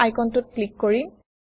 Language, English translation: Assamese, Let us click on this icon